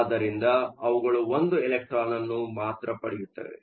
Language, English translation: Kannada, So, they can only take one electron